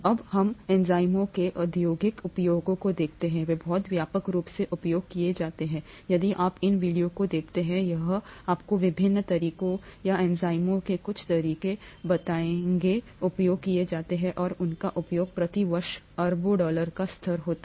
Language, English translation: Hindi, Now let us look at the industrial uses of enzymes, they are very widely used, f you look at this video, it’ll tell you the various ways or some of the ways in which enzymes are used and their usage is billions of dollars per year kind of level